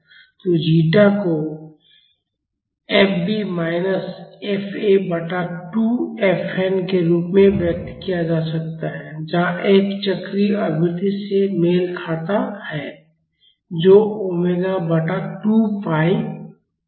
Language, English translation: Hindi, So, the zeta can be expressed as fb minus fa by 2 fn where f corresponds to the cyclic frequency that is omega divided by 2 pi